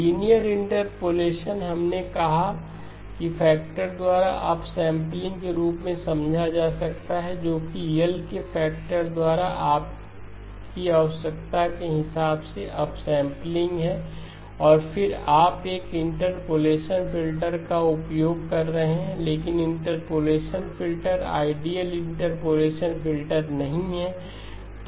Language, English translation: Hindi, Linear interpolation we said can be understood as an up sampling by a factor whatever is your requirement up sampling by a factor of L and then you are using an interpolation filter, but the interpolation filter is not the ideal interpolation filter